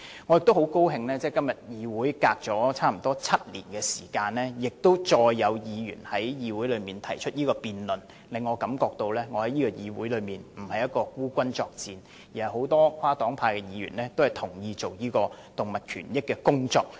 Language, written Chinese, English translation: Cantonese, 我很高興在相隔7年後，再有議員就這議題提出議案辯論，令我感到我在議會內並非孤軍作戰，而是很多跨黨派議員都同意應為動物權益多做工作。, I am delighted that after seven years an Honourable colleague moved a motion on this subject for debate in this Council again so that I know I am not alone in this fight . Many cross - party Members also agree that more should be done to safeguard animal rights